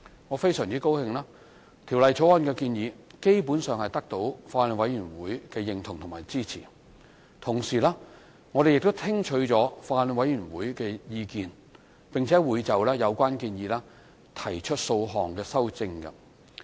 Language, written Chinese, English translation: Cantonese, 我很高興，《條例草案》的建議基本上得到法案委員會的認同和支持；同時，我們亦聽取法案委員會的意見，會就有關建議提出數項修正。, I am pleased that the proposals in the Bill are generally accepted and supported by the Bills Committee . Meanwhile after listening to the views of the Bills Committee we are going to propose a number of amendments based on its suggestions